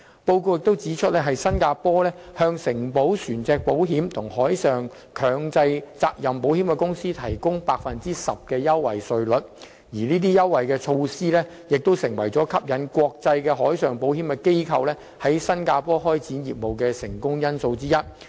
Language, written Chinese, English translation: Cantonese, 報告也指出，新加坡向承保船隻保險和海上強制責任保險公司提供 10% 的優惠稅率，這些優惠措施是吸引國際海上保險機構在新加坡開展業務的成功因素之一。, It is also pointed out in the report that Singapore is offering a concessionary tax rate of 10 % to insurers for writing both onshore and offshore marine hull and liability risks and these incentives proved to be one of the success factors attracting international marine insurers and brokers to set up their businesses in Singapore